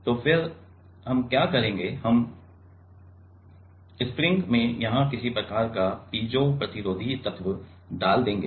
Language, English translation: Hindi, So, then what we will do we will put some kind of piezo resistive element here in the spring